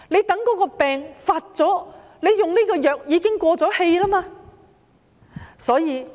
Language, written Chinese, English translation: Cantonese, 到了病情惡化，使用這種藥物已經沒有效用。, When the symptoms get aggravated the use of these drugs will have no effect at all